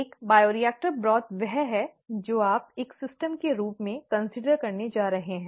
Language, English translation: Hindi, A bioreactor broth is what you are going to consider as a system